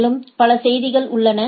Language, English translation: Tamil, And there are several messages